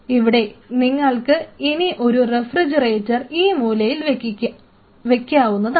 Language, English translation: Malayalam, So, you may think of having a refrigerator in one of the corners